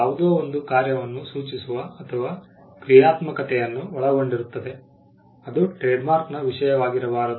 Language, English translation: Kannada, Something which is which did denote a function, or which covers a functionality cannot be the subject matter of a trademark